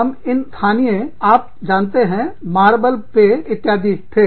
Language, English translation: Hindi, We used to have, these local, you know, marble drinks